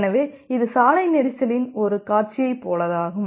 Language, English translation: Tamil, So, just like a scenario in a road congestion